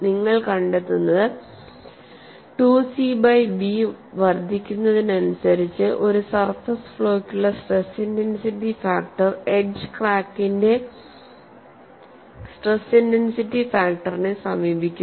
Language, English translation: Malayalam, 2 and what you find is as 2 c b is increased, the stress intensity factor for a surface flaw approaches the stress intensity factor of the edge crack